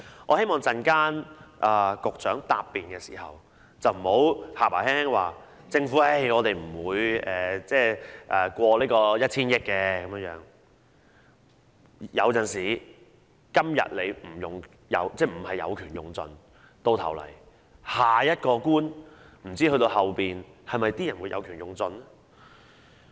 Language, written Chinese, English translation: Cantonese, 我希望局長稍後答辯時不要口輕輕的說"政府不會借款超出 1,000 億元的"，有時候即使局長今天有權沒有盡用，但不知下一個官員會否有權盡用。, I hope the Secretary will not causally say in his reply later on that the Government will not make borrowings more than 100 billion . Sometimes just because the incumbent Secretary is not exhausting his powers does not mean the next one will not